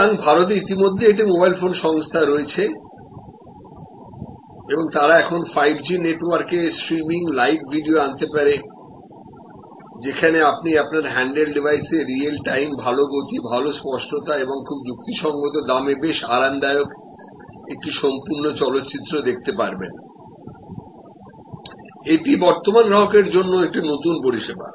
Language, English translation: Bengali, So, there is a already mobile phone company in India and they can now bring live videos streaming on 5G network, where you can see a full movie quite comfortable on your handle device and real time good speed, good clarity and at a very reasonable price; that is a new service to existing customer